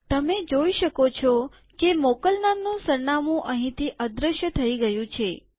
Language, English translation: Gujarati, You can see that the from address has disappeared from here